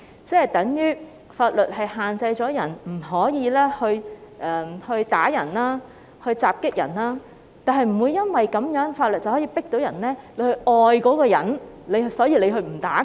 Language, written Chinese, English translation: Cantonese, 這等於法律限制了你不可以打人、襲擊人，但法律不能因此強迫你去愛那個人，故此不去打他。, That means though the law prohibits you from beating and attacking others it cannot force you to love somebody so that you will not beat him